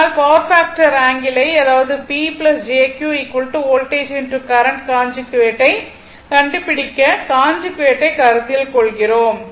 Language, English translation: Tamil, That is why we your what you call we consider conjugate right to capture the power factor angle that is why P plus jQ is equal to voltage into current conjugate